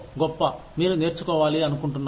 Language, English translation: Telugu, great, you want to learn